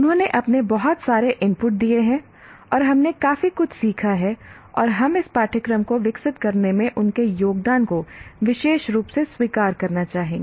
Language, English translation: Hindi, And they have given lots of their inputs and we have learned quite a bit and we would like to particularly acknowledge their contributions to in developing this course